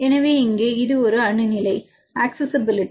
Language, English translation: Tamil, So, here; this is a atom level accessibility